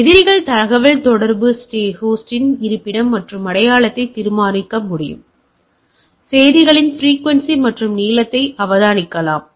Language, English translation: Tamil, Opponent can determine the location and identity of the communicating host, observe the frequency and length of the messages etcetera